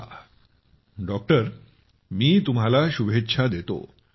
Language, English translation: Marathi, Okay, I wish you all the best